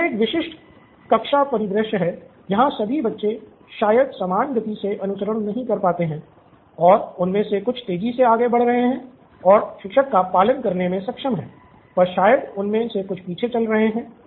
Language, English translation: Hindi, So this is a typical classroom scenario where all children probably don’t follow at the same pace and some of them are going fast, they are able to follow the teacher on the other hand maybe there are some of them are lagging behind